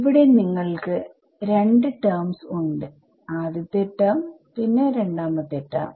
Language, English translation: Malayalam, So, one thing you have 2 terms over here first term, second term